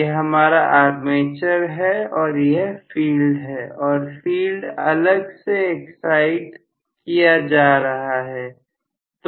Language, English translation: Hindi, This is my armature and this is the field and field is being separately excited